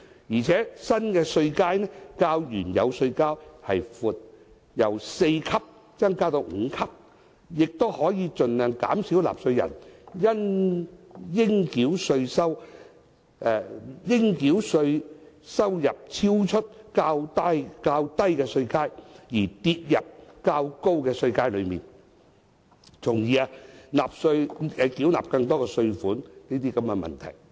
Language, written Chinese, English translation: Cantonese, 此外，新稅階較原有稅階為闊，由4級增至5級，亦可以盡量減少納稅人由於應繳稅收入超出較低稅階，跌入較高稅階而須繳納更多稅款的問題。, In addition as the new tax band will be wider than the original one and the number of tax bands will be increased from four to five the number of cases where a taxpayer needs to pay a higher amount of tax because his chargeable income goes beyond a lower tax band and falls within a higher tax band will be minimized